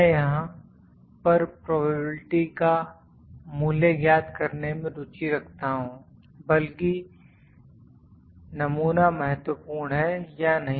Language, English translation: Hindi, I am interested in finding the value of the probability rather is my sample significant or not